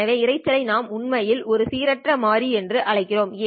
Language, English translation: Tamil, For us, noise is a random variable